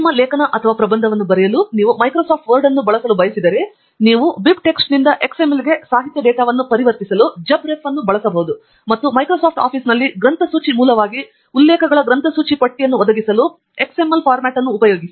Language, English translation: Kannada, And if you prefer to use Microsoft Word to write your article or thesis, then you can use JabRef to convert the literature data from BibTeX to XML, and then use XML format to provide the bibliographic list of references as a bibliographic source in Microsoft Office